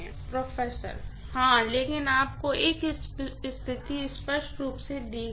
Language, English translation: Hindi, Yeah, but you are given a situation clearly